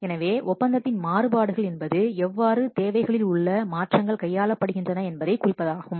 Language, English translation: Tamil, So, variations to the contract, that is how are changes to requirements dealt with